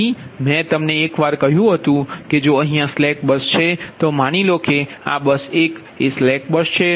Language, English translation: Gujarati, so i told you once that if slack bus is there, ah, the slack bus is there